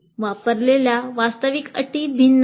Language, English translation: Marathi, The actual terms used are different